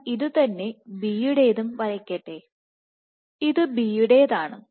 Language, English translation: Malayalam, So, let me also draw it for B, this is for B